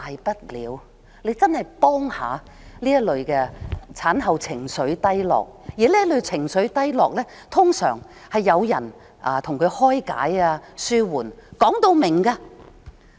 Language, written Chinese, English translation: Cantonese, 請你幫助這類產後情緒低落的人，這類情緒低落通常需要有人開解便能紓緩。, Please help those people suffering from postpartum depression . This kind of depression can be alleviated by giving them more care and concern